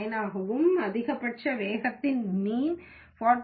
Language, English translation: Tamil, 9 and the mean of the maximum speed is 48